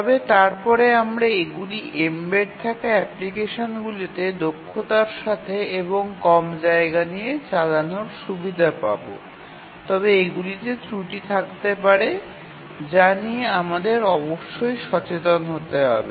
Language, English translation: Bengali, But then even these have the advantage of running efficiently and with less space on an embedded application but then these have their shortcomings which we must be aware of